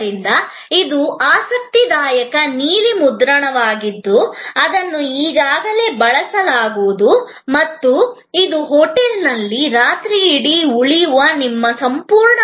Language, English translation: Kannada, So, this is an interesting blue print that will get already used before, it shows your entire set of experience of staying for a night at a hotel